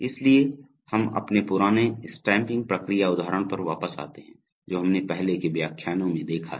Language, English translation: Hindi, So we come back to our old stamping process example which we have seen in earlier lectures